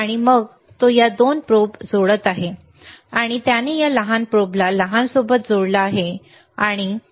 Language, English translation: Marathi, And then he is connecting these 2 probes, and the shorter version shorter one he has connected to this shorter one, right